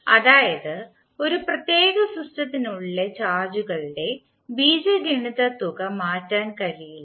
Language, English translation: Malayalam, That means that the algebraic sum of charges within a particular system cannot change